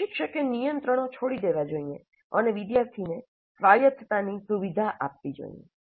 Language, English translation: Gujarati, Instructor must relinquish control and facilitate student autonomy